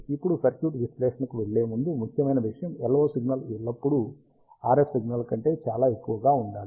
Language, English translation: Telugu, Now, before going to the circuit analysis, important thing LO signal is always very very greater than the RF signal